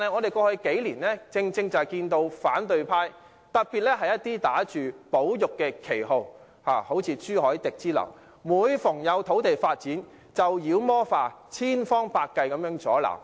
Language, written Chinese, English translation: Cantonese, 然而，過去數年有反對派打着保育旗號，像朱凱廸議員之流，將所有土地發展"妖魔化"，千方百計加以阻撓。, However some members of the opposition camp such as the likes of Mr CHU Hoi - dick have demonized all land developments under the banner of conservation in the past few years